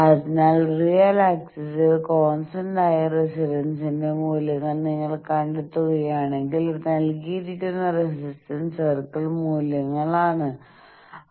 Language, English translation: Malayalam, So, if you see that thing you locate that along the real axis the values of the resistance is constant resistance circle values are given so there you locate